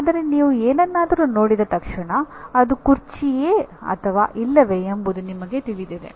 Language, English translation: Kannada, But the moment you look at something you know whether it is a chair or not